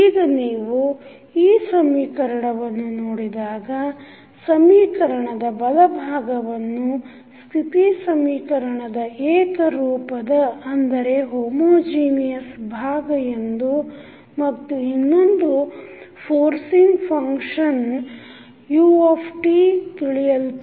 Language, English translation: Kannada, Now, if you see this particular equation the right hand side of the above equation is known as homogeneous part of the state equation and next term is forcing function that is ut